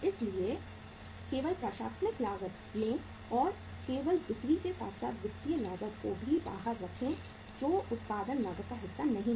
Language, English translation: Hindi, So only take the administrative cost and you simply exclude the selling as well as the financial cost that is not to be the part of the cost of production